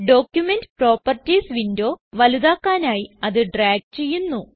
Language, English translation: Malayalam, I will drag the Document Properties window to maximize it